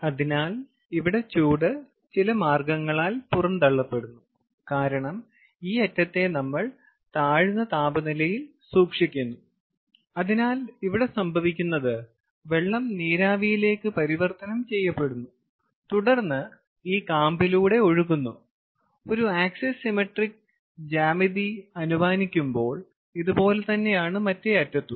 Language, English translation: Malayalam, ok, so here the heat is rejected by some means because this end is kept at a lower temperature and therefore what is happening is the water vapor, or the water is converting to vapor over here and then flowing through this core and similarly from the other end also, it will do the same, with assuming an axis symmetric geometry here